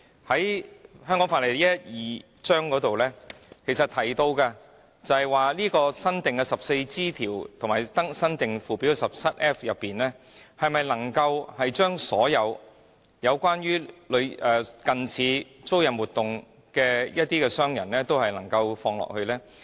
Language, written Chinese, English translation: Cantonese, 就《香港法例》第112章新訂的 14G 條及新訂附表 17F 條，是否能將所有關於近似租賃活動的商人均包括在內？, Can the new section 14G and the new Schedule 17F under Cap . 112 of the Laws of Hong Kong cover all types of leasing - related businesses?